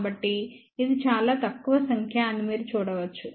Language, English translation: Telugu, So, you can see that this is a very very small number